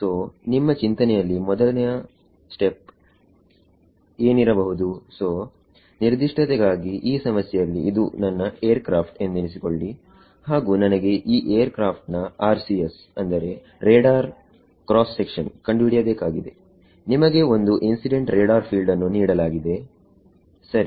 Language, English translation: Kannada, So, what do you think could be step number 1 ok, so, for definiteness let us assume problem this is my aircraft over here, and I want to calculate RCS: Radar Cross Section of this aircraft you are given some incident radar field over here ok